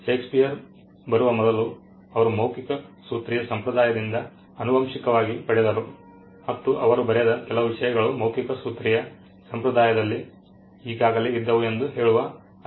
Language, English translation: Kannada, You know just before Shakespeare came in, he actually inherited from a oral formulaic tradition and there are studies which say that some of the things that he wrote were already there in the oral formulaic tradition